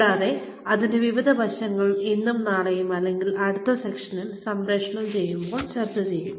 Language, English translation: Malayalam, And, various aspects to it, will be discussed in the session, today and tomorrow, or in the next session, whenever it is aired